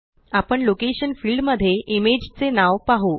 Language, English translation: Marathi, We will see the name of the image in the Location field